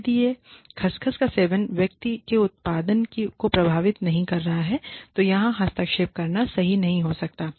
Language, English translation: Hindi, You know, and, if it is not affecting the person's output, then it may not be right to intervene